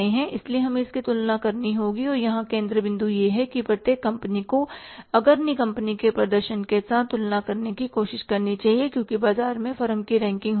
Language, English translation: Hindi, So we will have to compare it and the focal point here is the Abri company should try to compare it with the leaders performance because there are the rankings of the firm in the market